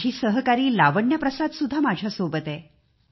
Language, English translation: Marathi, My fellow Lavanya Prasad is with me